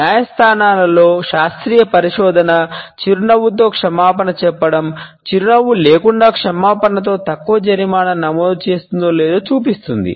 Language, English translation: Telugu, Scientific research in courtrooms shows whether an apology of a with smile encores a lesser penalty with an apology without one